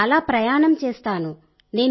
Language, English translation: Telugu, I walk around a lot